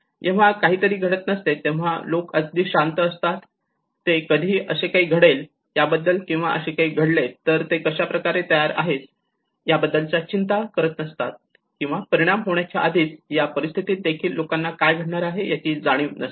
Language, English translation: Marathi, You know how it was when nothing has happened people remained calm, they did not bothered about what is going to happen, how to prepare for it or how to, so even in the pre impact situations many at times people do not realise what it is going to happen